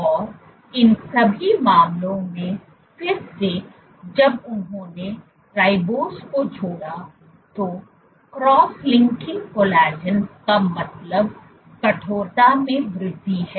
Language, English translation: Hindi, And in all these cases again when they added the ribose, so cross linking collagen means increase in stiffness